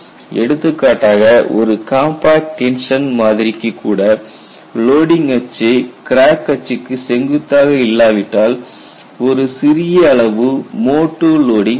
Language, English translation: Tamil, For example, even for a compact tension specimen, if the loading axis is not exactly perpendicular to the crack axis, there are small amount of mode two loading will be present